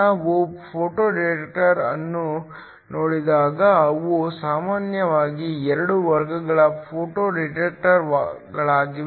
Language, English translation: Kannada, When we look at a photo detector, they are normally 2 classes of photo detectors